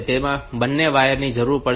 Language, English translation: Gujarati, So, you have two wires will be needed